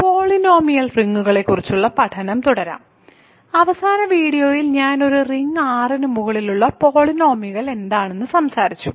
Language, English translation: Malayalam, So, let us continue with the study of polynomial rings, in the last video I talked about what polynomials over a ring R are